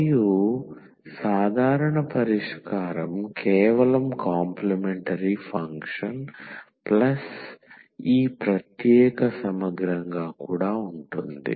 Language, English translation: Telugu, And the general solution will be just the complementary function and plus this particular integral